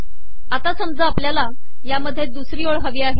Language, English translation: Marathi, Now suppose we want to add a second row to this